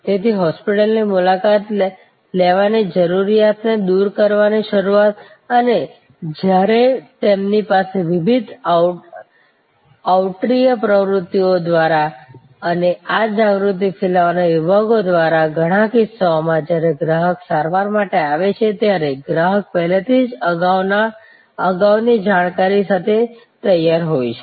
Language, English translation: Gujarati, So, the start to eliminate the need to visit the hospital and when through the various outreach activities they have and this awareness spreading sections in many cases, when the customer arrives for the treatment, the customer as already come prepared with fore knowledge